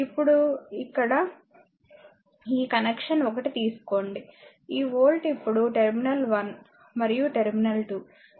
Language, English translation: Telugu, Now, take this connection 1 here, the volt this is terminal 1 and terminal 2